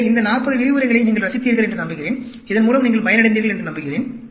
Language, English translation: Tamil, So, I hope you enjoyed these 40 lectures, and I hope you benefited from this